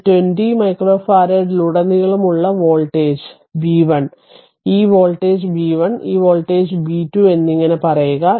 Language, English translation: Malayalam, Say voltage across this 20 micro farad is b 1, this voltage is b 1, and this voltage is b 2 right